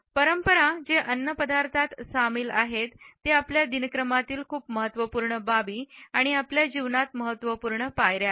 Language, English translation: Marathi, Rituals which involve food are very important aspects of our routine and significant steps in our life